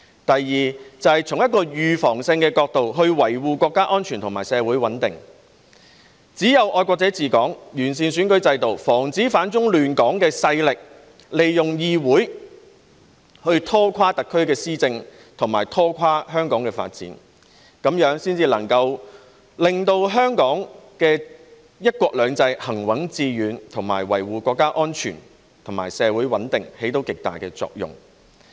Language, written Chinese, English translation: Cantonese, 第二，是從預防性的角度，維護國家安全和社會穩定，只有"愛國者治港"、完善選舉制度，防止反中亂港的勢力利用議會拖垮特區的施政和香港的發展，這樣才能令香港的"一國兩制"行穩致遠，對維護國家安全和社會穩定產生極大作用。, It is only by implementing patriots administering Hong Kong and improving the electoral system to prevent anti - China disruptors from using the legislature to drag down the administration of SAR and the development of Hong Kong that one country two systems can be implemented steadfastly and successfully in Hong Kong . It is highly conducive to safeguarding national security and social stability . Thirdly it enhances broad representation and communication